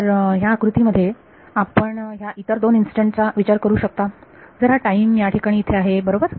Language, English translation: Marathi, So, in this figure you can think of these other two instances if this is time over here right